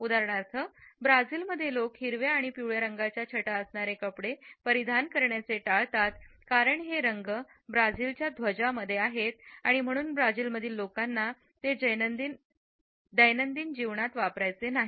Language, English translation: Marathi, For example, in Brazil people tend to avoid wearing shades of green and yellow because these are the colors of the Brazilian flag and the people of brazil do not want to use it for their day to day apparels